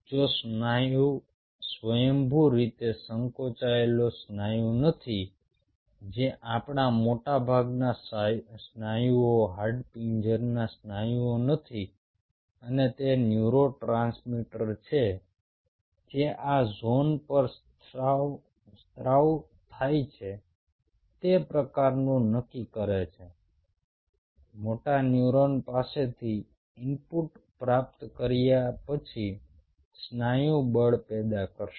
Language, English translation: Gujarati, if the muscle is not, ah, spontaneously contracting muscle, which most of our muscles are, not the skeletal muscle, and it is the neurotransmitter which is secreted at this zone kind of decides the force muscle will generate upon receiving input from moto neuron